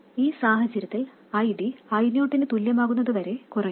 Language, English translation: Malayalam, In this case, ID will go on decreasing until it becomes exactly equal to I0